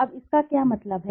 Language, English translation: Hindi, Now what does it means